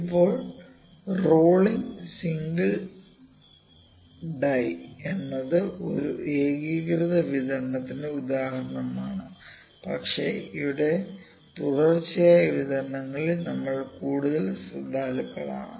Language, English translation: Malayalam, Now, rolling is single die can be example of a discrete uniform distribution but we are more concerned with the continuous distributions here